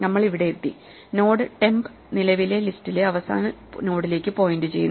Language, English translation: Malayalam, We have reached, the node temp is now pointing to the last node in the current list